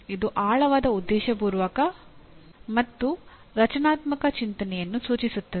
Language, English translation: Kannada, See it refers to the deep intentional and structured thinking, okay